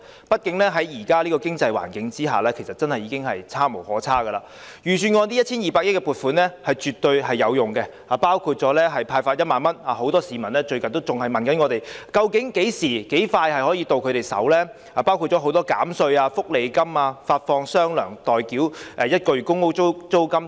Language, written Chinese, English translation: Cantonese, 畢竟現時的經濟環境已是差無可差，預算案這 1,200 億元的撥款是絕對有用的，當中包括派發1萬元——很多市民最近亦向我們查詢最快何時可以取得款項——多項減稅措施、福利金發放"雙糧"、代繳1個月公屋租金等。, After all the current financial environment has hit the rock bottom the 120 billion appropriation is absolutely helpful and will be used on the 10,000 cash payout―members of the public have asked us recently about the earliest date they can receive the payout―various tax rebate measures an additional one months welfare payment the payment of one months rent for tenants living in public rental units and so on